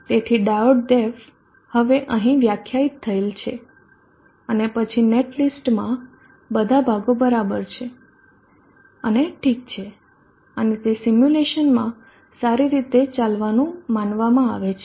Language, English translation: Gujarati, So D the diode DF is now defined here and then all the portions of the net list are fine and okay and it is supposed to execute well in the simulation